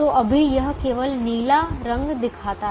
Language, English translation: Hindi, so right now it shows only the blue color